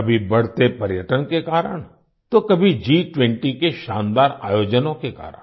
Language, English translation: Hindi, Sometimes due to rising tourism, at times due to the spectacular events of G20